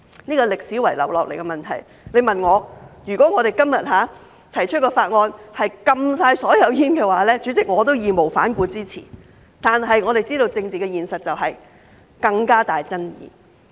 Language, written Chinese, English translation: Cantonese, 這是歷史遺留下來的問題，如果今天提出的法案是全面禁煙，主席，我也會義無反顧的支持，但我們知道政治現實是這會有更大爭議。, This is a problem left over from history . If the Bill proposed today is about a total ban on smoking President I will support it without reservation but we know that this will be more controversial given the political reality